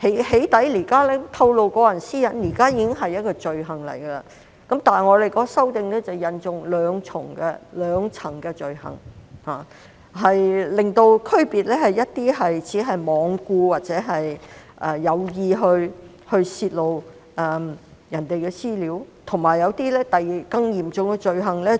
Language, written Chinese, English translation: Cantonese, "起底"或透露個人私隱現時已是一項罪行，但修訂引入兩層罪行，以區分泄露他人資料，而只是罔顧導致傷害或有意導致傷害的罪行；以及更嚴重的、造成嚴重傷害的罪行。, Doxxing or disclosure of privacy information is already an offence at present but the amendment introduces two tiers of offences to distinguish between an offence for disclosing another persons personal data with recklessness as to whether any harm would be caused or with an intent to cause harm on the one hand and a more serious offence for causing severe harm on the other . The current wording of PDPO is inadequate as it mentions psychological harm only